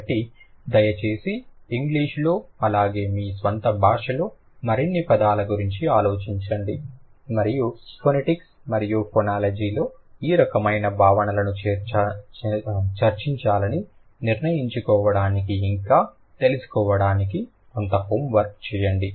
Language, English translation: Telugu, So, please think about more words in English as well as in your own language and do some homework to find out if you encounter something interesting to decide like to discuss these kind of concepts in phonetics and phonology